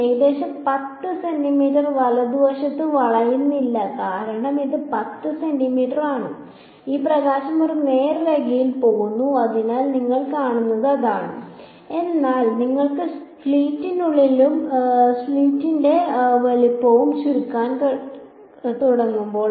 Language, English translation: Malayalam, Almost 10 centimeter right there is no bending happening because it is 10 centimeter this is light will just go in a straight line, so that is what you see, but when you begin to shrink the size of the slit right